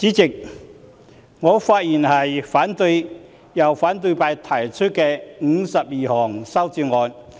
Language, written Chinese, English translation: Cantonese, 主席，我發言反對由反對派提出的52項修正案。, Chairman I speak to oppose the 52 amendments proposed by the opposition